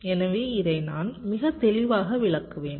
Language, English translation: Tamil, so i shall be explaining this very clearly